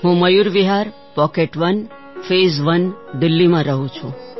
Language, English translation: Gujarati, I reside in Mayur Vihar, Pocket1, Phase I, Delhi